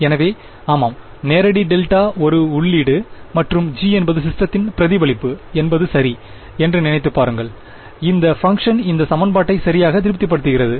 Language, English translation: Tamil, So, just think of it like that yeah direct delta is a input and g is the response of the system to it ok, it is that function which satisfies this equation right